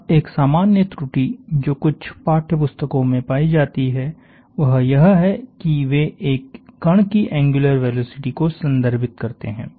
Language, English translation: Hindi, Now a common error that is found in some text books is they refer to the angular velocity of a particle